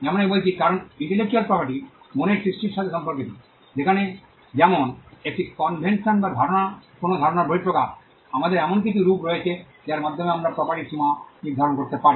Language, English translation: Bengali, As I said, because intellectual property deals with creations of the mind; like, an invention or an idea or an expression of an idea, we lead to have some form by which we can ascertain the limits of property